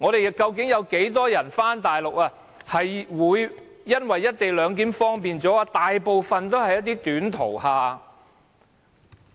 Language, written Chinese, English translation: Cantonese, 有多少返回大陸的人會因為"一地兩檢"而感到更為方便？, How many people travelling to and from the Mainland will consider this arrangement very convenient?